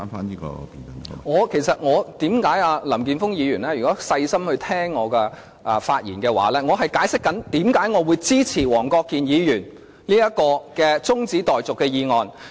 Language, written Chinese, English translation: Cantonese, 如果林健鋒議員細心聆聽我發言的話，就知道我正在解釋，為甚麼我支持黃國健議員這項中止待續議案。, If Mr Jeffrey LAM has been listening to my speech carefully he should have known that I am trying to explain why I support Mr WONG Kwok - kins adjournment motion